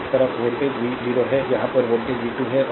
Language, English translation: Hindi, Across is voltage is v 0 here across voltage is v 2